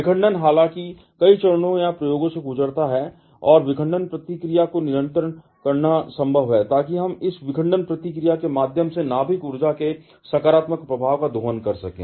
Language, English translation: Hindi, Fission however, has gone through several phases or experiments and it is possible to control the fission reaction, so that we can harness the positive effect of nuclei energy through this fission reaction